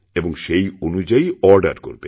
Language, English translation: Bengali, And then the orders can be placed